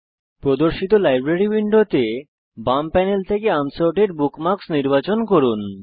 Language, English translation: Bengali, In the Library window that appears, from the left panel, select Unsorted bookmarks